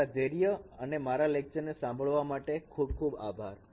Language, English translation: Gujarati, Thank you very much for your patience and listening to my lecture